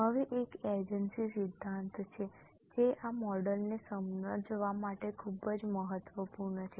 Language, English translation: Gujarati, Now there is an agency theory which is very important for understand this model